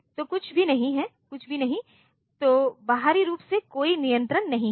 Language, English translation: Hindi, So nothing, so externally there were no control